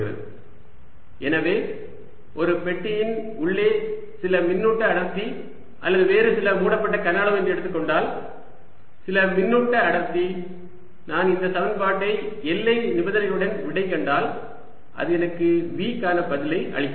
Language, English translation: Tamil, so if i am given some charge density inside a box or some other close volume, some charge density, i solve this equation with the boundary condition and that gives me the answer for v